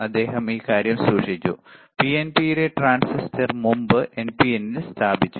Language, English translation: Malayalam, He kept this thing, the transistor in PNP, earlier he placed in NPN